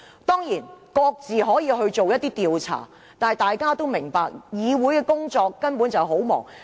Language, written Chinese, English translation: Cantonese, 當然，議員可以各自進行研究，但大家都明白議會工作繁忙。, It is true that Members may study the amendment proposals on their own but we are all very busy in handling Council business